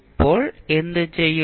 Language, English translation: Malayalam, Now, what you will do